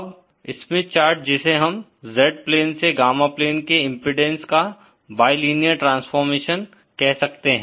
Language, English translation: Hindi, Now the Smith chart is what we call the bilinear transformation of the impedance from the Z plane to the Gamma plane